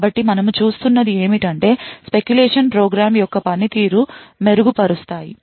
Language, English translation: Telugu, So, what we see is that the speculation could possibly improve the performance of the program